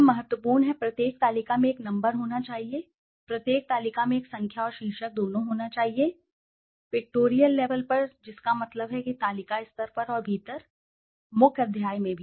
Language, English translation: Hindi, Now important, every table should have a number every table should have a number and title both, at the pictorial level that means at the table level and within the, in the main chapter also